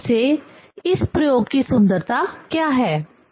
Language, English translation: Hindi, Basically that is what the beauty of this experiment